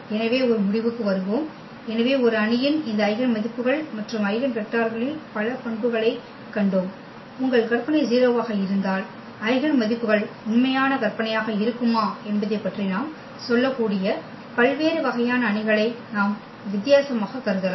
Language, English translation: Tamil, Getting to the conclusion, so we have seen several properties of this eigenvalues and eigenvectors of a matrix, we have considered different; different types of matrices where we can tell about whether the eigenvalues will be real imaginary if your imaginary you are 0